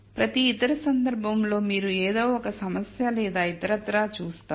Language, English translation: Telugu, In every other case you will see that there is some problem or other